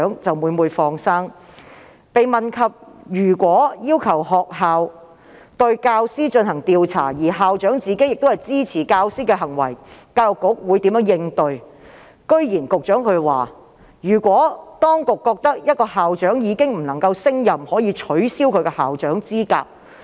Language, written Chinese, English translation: Cantonese, 當被問及如果要求學校對教師進行調查而校長支持教師的行為，教育局會如何應對，局長竟然表示如果局方認為某校長已無法勝任，可以取消其校長資格。, When he was asked how the Education Bureau would response if a school was requested to carry out an investigation on a teacher whose conduct was supported by the principal the Secretary nonetheless advised that should the Bureau consider a principal incompetent the principal could be disqualified